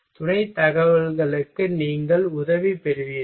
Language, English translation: Tamil, You are taking help of supporting information